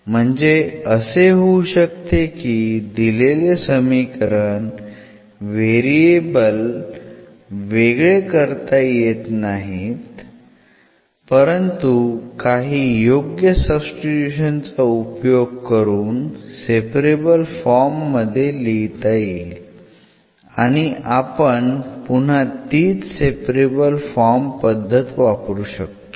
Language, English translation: Marathi, So, as such in the given in the given equation may not be separated with respect to these variables, but it can be made by some substitution to separable form and then we can again repeat the process which we have done for the separable equations